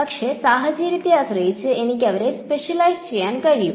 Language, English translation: Malayalam, But I can specialize them depending on the situation